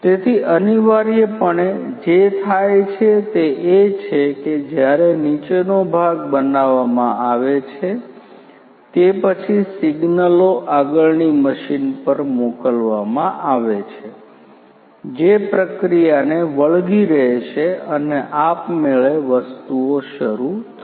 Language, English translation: Gujarati, So, essentially what happens is that when the bottom part is made after that the signals are sent to the next machine which will take the process over and automatically things are going to be started